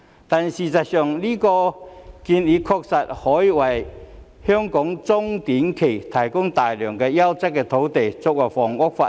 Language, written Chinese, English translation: Cantonese, 但是，這項建議確實可以在短、中期，為香港提供大量優質的土地作為房屋發展。, However this proposal can really provide Hong Kong with a lot of quality land for housing development in the short and medium terms